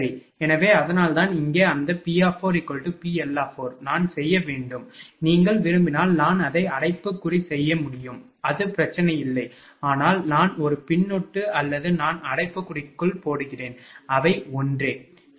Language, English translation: Tamil, So, that is why that P4 is equal to PL 4 here, I should I should make if you want I can make it bracket also no problem, but I told you whether it is a suffix or whether, I am putting in bracket they are same, right